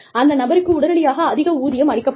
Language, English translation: Tamil, That person, does not get the high salary, immediately